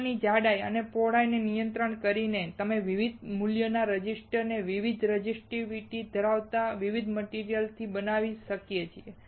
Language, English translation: Gujarati, By controlling the thickness and width of the film, we can fabricate resistors of different values with different materials having different resistivity